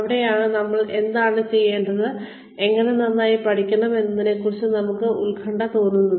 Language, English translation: Malayalam, And, that is where, we feel, anxious about, what we should learn, and how we should learn, it better